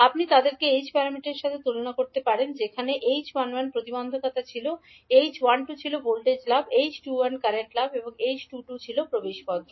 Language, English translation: Bengali, So you can correlate with, you can compare them with the h parameters where h11 was impedance, h12 was voltage gain, h21 was current gain